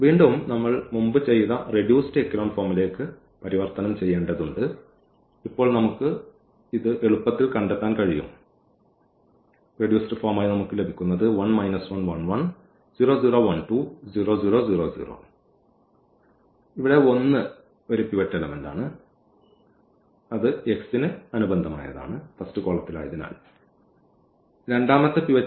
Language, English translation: Malayalam, And again we need to just convert into the reduced echelon form which we have done just before and now we can easily find it out because this is the pivot here and this is the pivot